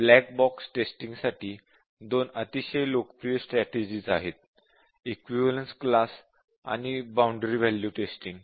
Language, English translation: Marathi, Saying that these are black box testing, two strategies for black box testing very popular strategies are Equivalence Class and Boundary Value Testing